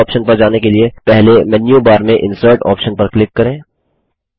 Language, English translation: Hindi, To access this option, first click on the Insert option in the menu bar